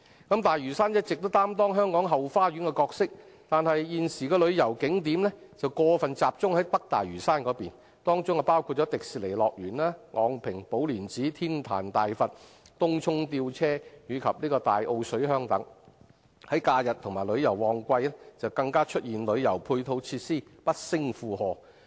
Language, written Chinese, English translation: Cantonese, 大嶼山一直擔當香港後花園的角色，但現時的旅遊景點過分集中在北大嶼山，當中包括迪士尼樂園、昂坪寶蓮寺和天壇大佛、東涌吊車及大澳水鄉等，假日及旅遊旺季時旅遊配套設施不勝負荷。, Lantau Island has been playing the role as the back garden of Hong Kong . However at present the tourist attractions are over concentrated in North Lantau which include the Disneyland Po Lin Monastery cum the Big Buddha Statue in Ngong Ping the cable car in Tung Chung and the fishing settlement in Tai O . During holidays and peak travel seasons the complementary tourist facilities are overloaded